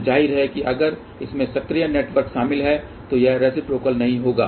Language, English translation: Hindi, So, of course, if it consists of active network then it will not be reciprocal